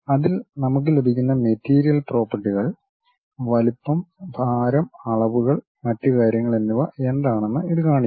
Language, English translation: Malayalam, In that it shows what might be the material properties, size, weight, dimensions and other things we will have it